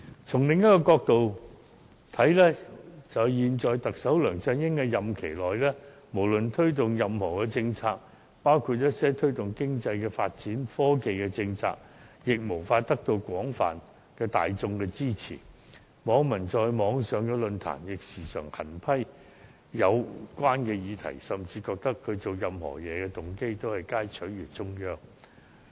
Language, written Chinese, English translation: Cantonese, 從另一角度看來，在現任特首梁振英的任期內，無論推動任何政策，包括一些推動經濟和科技發展的政策，均無法得到大眾的廣泛支持，網民亦時常在網上論壇狠批有關建議，甚至認為他所做任何事情的動機，皆在取悅中央。, From another perspective incumbent Chief Executive LEUNG Chun - ying always fails to gain popular support for any of his policies during this tenure including policies promoting economic and technological development . Moreover netizens constantly criticize these polices in online forums even believing that he did everything with the motive to please the Central Authorities